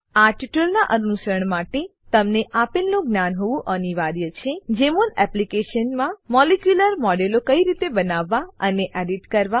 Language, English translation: Gujarati, To follow this tutorial, you should know * how to create and edit molecular models in Jmol Application